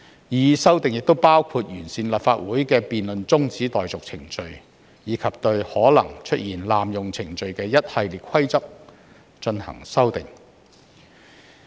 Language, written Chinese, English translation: Cantonese, 擬議修訂亦包括完善立法會的辯論中止待續程序，以及對可能出現濫用程序的一系列規則進行修訂。, The proposed amendments also include fine - tuning the procedure for the adjournment of debate in the Council . There is also a series of proposed amendments to prevent possible abuse of procedures